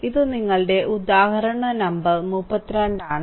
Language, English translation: Malayalam, So, this is your example number 12